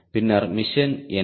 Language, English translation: Tamil, then what is the mission